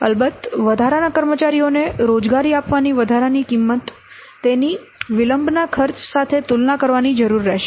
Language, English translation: Gujarati, Of course the additional cost of the employing extra staff it would need to be compared with the cost of delayed